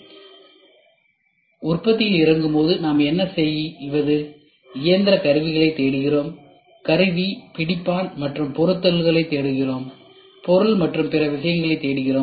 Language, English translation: Tamil, So, when it gets into the production what we do is we look for to machine tools, we look for tools, we look for jigs and fixtures, we look for material and other things